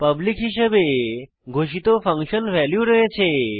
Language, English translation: Bengali, Then we have function values declared as public